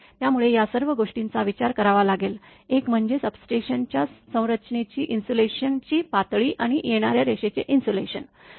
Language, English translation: Marathi, So, all these things one has to consider, one is that insulation level of the substation structure and the incoming line insulation